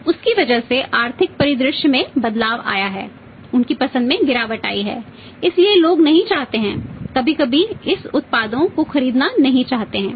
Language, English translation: Hindi, Because of that changed economic scenario their preferences has gone down so people do not want to sometimes do not want to buy this products